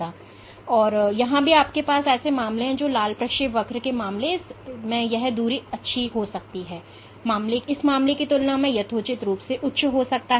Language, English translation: Hindi, But this is not foolproof because even within here you have cases where in case of this red trajectory this distance might be very good might be reasonably high compared to this case